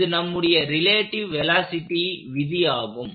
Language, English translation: Tamil, This is our law of relative velocity